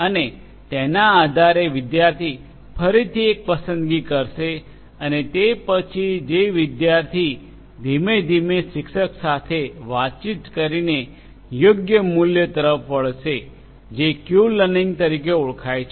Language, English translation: Gujarati, And, then based on that the student is again going to make a choice and then the student who is going to gradually converge towards the correct value by interacting with the teacher this is also known as Q learning